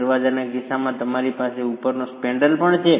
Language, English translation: Gujarati, In the case of a door you have the spandrel above as well